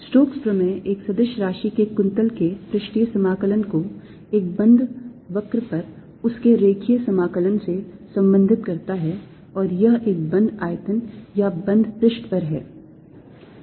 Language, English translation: Hindi, stokes theorem relates the curl of a vector quantity or its integral over an area to its line integral over a closed curve, and this over a closed volume or close surface